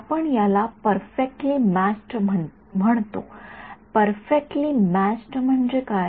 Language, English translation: Marathi, We are calling this perfectly matched; perfect matched means what